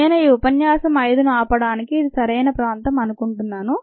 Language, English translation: Telugu, i think this is a nice place to stop lecture five